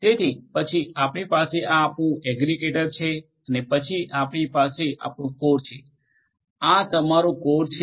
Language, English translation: Gujarati, So, then you have like this your aggregator and then you have your core this is your core